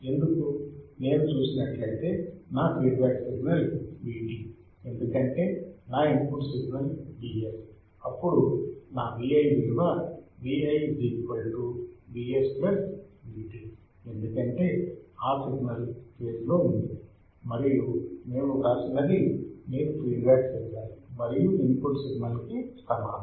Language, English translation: Telugu, Why, because if I see it my feedback signal is V t my input signal is V s, then my V i would be nothing but Vi = Vs+Vt, Why plus because the signal is in phase and that is what we have written Vi equals to feedback signal plus input signal